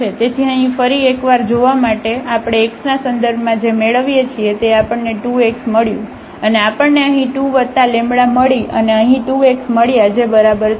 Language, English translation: Gujarati, So, just to look again here so, what we get with respect to x we got 2 x and we got 2 here plus this lambda and we got 2 x here is equal to 0 we want to set this